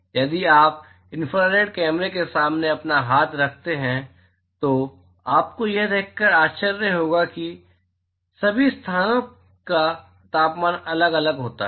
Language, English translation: Hindi, So, if you keep your hand in front of the infrared camera you will be surprised to see that all locations, they have different temperature